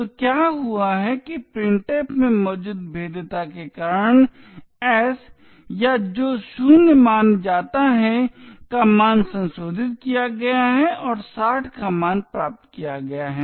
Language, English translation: Hindi, So what has happened is that the value of s or which is supposed to be 0 has been modified due to the vulnerability present in printf and has obtained a value of 60